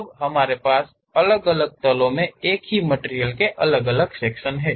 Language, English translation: Hindi, Now, we have variation of sections in the same material at different planes